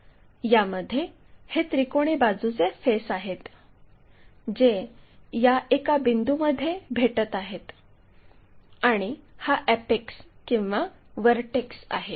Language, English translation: Marathi, We have these triangles all these are meeting at 1 point, this one is apex or vertex